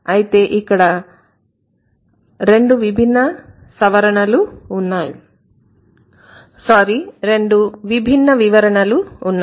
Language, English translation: Telugu, So there there are two different interpretations here